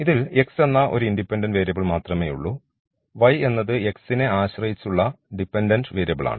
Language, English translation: Malayalam, So, only one dependent variable that is y and one independent variable that is x